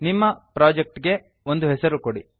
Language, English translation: Kannada, Give a name to your project